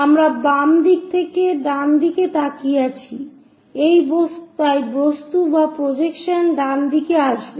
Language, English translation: Bengali, And we are looking from left side towards right side so, object or the projection will come on the right hand side